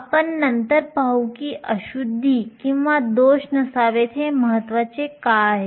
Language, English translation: Marathi, We will see later why it is important that there should be no impurities or defects